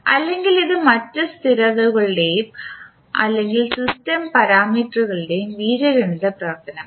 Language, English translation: Malayalam, Or it can be an algebraic function of other constants and, or system parameters